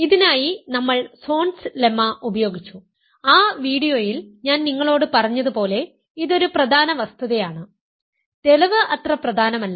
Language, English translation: Malayalam, We used what was called Zorn’s lemma for this and as I told you in that video this is an important fact, the proof is not that important